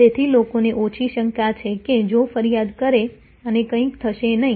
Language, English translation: Gujarati, So, that people have less doubt that if the complain and nothing will happen